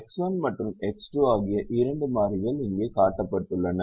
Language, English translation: Tamil, the two variables are x one and x two that are shown here, x one and x two